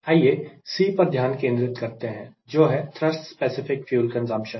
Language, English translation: Hindi, let us focus on c, that is, thrust specific fuel consumption